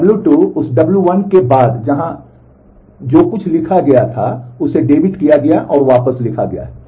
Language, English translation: Hindi, W 2 after that w 1 A so, whatever was written here is debited and written back